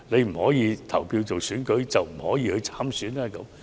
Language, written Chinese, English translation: Cantonese, 不可以投票是否等於不可以參選呢？, Should we stop a person who is ineligible to vote to run for election?